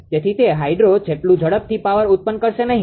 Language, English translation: Gujarati, So, it cannot generate power as fast as hydro, right